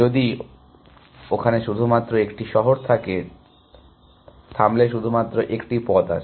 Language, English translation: Bengali, So, if you if there only one city, there is only one path